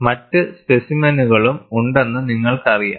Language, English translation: Malayalam, And you know, you also have other specimens